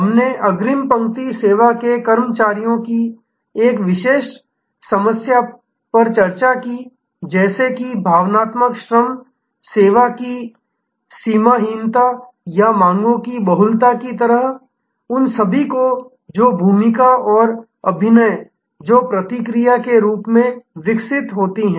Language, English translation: Hindi, We had discussed a specific problems of front line service employees like emotional labor, like the borderlessness of service or like the multiplicity of demands, the role and the script that are developed in response, all of those